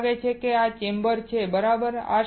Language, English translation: Gujarati, It looks like this and this is the chamber, right